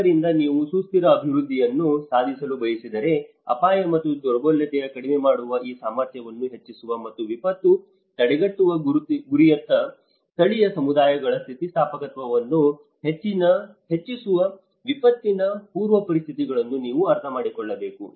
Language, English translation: Kannada, So, it talks about if you want to achieve the sustainable development, you need to understand that pre disaster conditions which can reduce the risk and vulnerability and increase the capacity, the resilience of local communities to a goal of disaster prevention